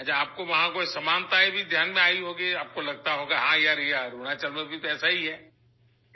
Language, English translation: Urdu, Well, you must have noticed some similarities there too, you would have thought that yes, it is the same in Arunachal too